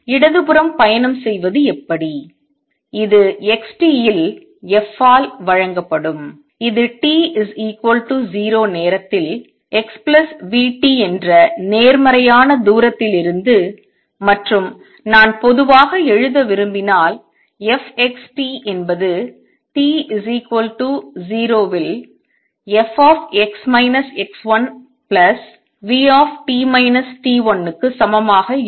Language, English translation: Tamil, How about that traveling to the left, this would be given by f at x t would be what; it was at a positive distance x plus v t at time t equal to 0 and if I want to write in general f x t is going to be equal to f x minus x 1 plus v t minus t 1 at t equal to 0